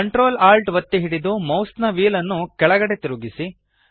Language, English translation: Kannada, Hold ctrl, alt and scroll the mouse wheel downwards